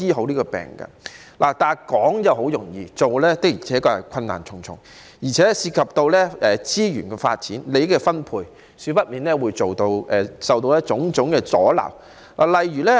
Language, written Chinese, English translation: Cantonese, 可是，說得容易，要做便困難重重，而且當中涉及資源發展、利益分配等問題，少不免會受到種種阻撓。, However it is always easy to talk than to do as there are bound to be many difficulties . What is more it may involve problems such as resource development and interest distribution which will inevitably create many obstacles